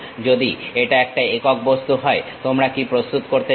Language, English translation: Bengali, If it is one single object, what you are going to prepare